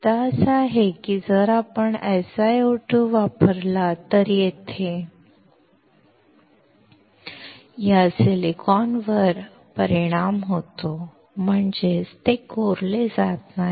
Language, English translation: Marathi, The point is that if we use SiO2, this silicon here is affected, that is, it does not get etched